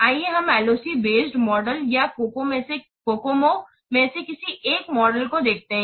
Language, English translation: Hindi, Let's see one of the model with the LOC based model or the COCOMO